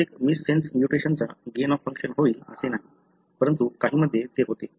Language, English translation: Marathi, It is not necessary that every missense mutation would have a gain of function effect, but in some it does